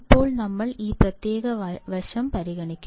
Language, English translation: Malayalam, So, now we will just consider this particular side